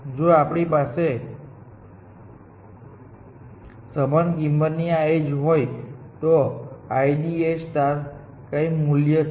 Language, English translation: Gujarati, Even if we have these edges of equal cost, IDA star has some value